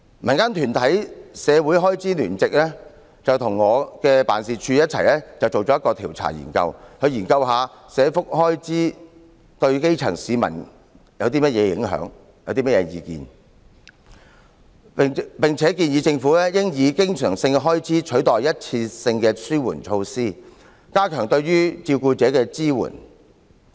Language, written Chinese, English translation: Cantonese, 民間團體"關注社會開支聯席"與我的辦事處共同進行了一項調查，研究社福開支對基層市民有何影響和他們有何意見，並建議政府應以經常性開支取代一次性的紓緩措施，加強對照顧者的支援。, Joint Forces Concerning Social Expenditures a civil society conducted a survey in conjunction with my office to study the impact of social welfare expenditure on the grass roots and to solicit their views . It also suggested that to strengthen support for caregivers the Government should replace the one - off relief grant with recurrent expenditure